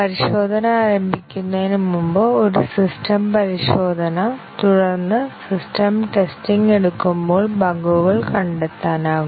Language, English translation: Malayalam, Before testing starts, a system testing; and then, as the system testing is taken up, bugs get detected